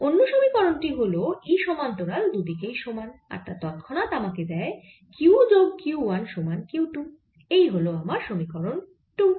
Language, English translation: Bengali, and the other equation is that e parallel is the same and that immediately gives me q plus q one is equal to q two